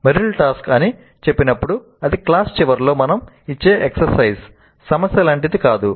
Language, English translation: Telugu, Now when Merrill says task it is not like an exercise problem that we give at the end of the class